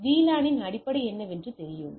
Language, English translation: Tamil, So, this you know this is what the basic of VLAN is